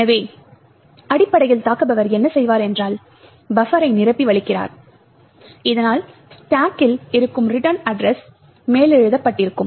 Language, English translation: Tamil, So, essentially what the attacker would do was overflow the buffer so that the return address which is present on the stack is over written